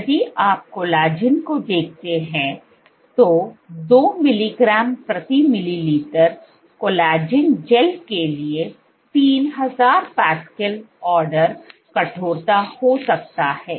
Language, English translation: Hindi, While, if you look at collagen let say a 2 mg per ml collagen gel collagen gel if you may this has ordered 300 pascals stiffness